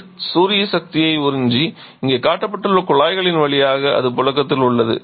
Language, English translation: Tamil, Where the water is absorbing the solar energy and that is circulating through the tubes that are shown here